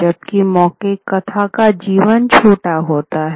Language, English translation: Hindi, Whereas an oral narrative, it has a shorter life